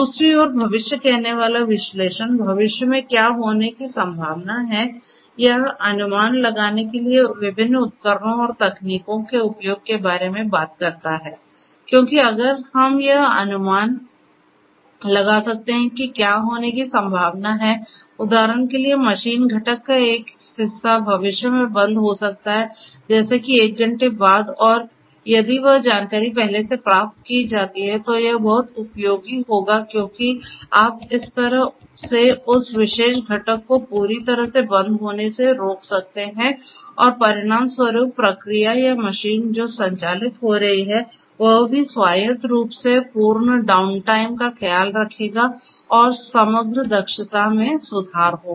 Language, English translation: Hindi, The predictive analytics on the other hand talks about use of different tools and techniques in order to predict in the future what is likely to happen because if we can predict what is likely to happen, for example, a part of a machine component might go down in the future, maybe after 1 hour and if that information is obtained beforehand then that will be very much useful because that way you could prevent that particular component from completely going down and consequently the process or the machine that is being operated will also be autonomously taking care of you know the complete down time and will improve upon the overall efficiency